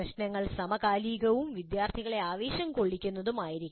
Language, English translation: Malayalam, Problems must be contemporary and be able to excite the students